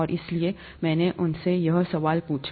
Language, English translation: Hindi, And, so, I asked them this question